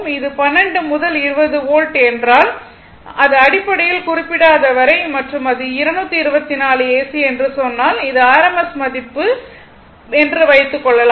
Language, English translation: Tamil, Suppose, if it is 12 to 20 volt, that is basically rms value unless and until it is not mentioned and if it say 224 AC, you have to assume this is rms value